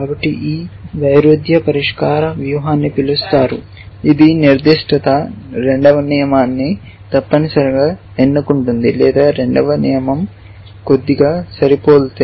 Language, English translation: Telugu, So, this conflicts resolution strategy at as it is called which is specificity will choose the second rule essentially or if the second rule matches little